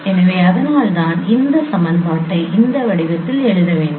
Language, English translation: Tamil, So this can be written in this form